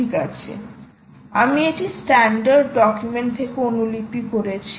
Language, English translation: Bengali, well, i copied this from the standard document